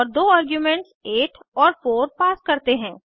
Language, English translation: Hindi, And pass two arguments as 8 and 4